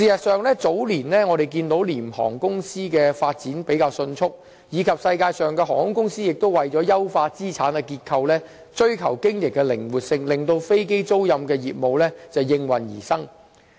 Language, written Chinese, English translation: Cantonese, 事實上，早年我們看到廉航公司的發展比較迅速，並且世界各地的航空公司亦為了優化資產的結構，追求經營的靈活性，令飛機租賃的業務應運而生。, As a matter of fact the business of low - cost carriers had seen speedy growth in earlier years . Moreover airlines all over the world were in hot pursuit of operating flexibility for the sake of refining their asset allocation frameworks then thus giving rise to the aircraft leasing business